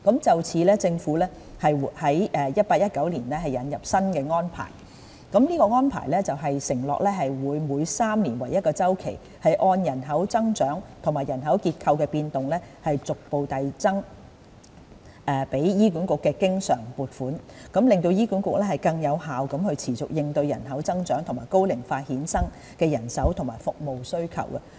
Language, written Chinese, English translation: Cantonese, 就此，政府於 2018-2019 年度引進新安排，承諾會每3年為1周期，按照人口增長和人口結構的變動，逐步遞增給予醫管局的經常撥款，讓醫管局能更有效地持續應對人口增長和高齡化衍生的人手和服務需求。, Hence the Government has introduced a new arrangement in 2018 - 2019 and undertaken to increase the recurrent funding for HA progressively on a triennium basis having regard to population growth rates and demographic changes so that HA will be in a better position to continuously meet the manpower and service demand arising from the growth and ageing of our population